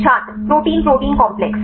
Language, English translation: Hindi, Protein protein complex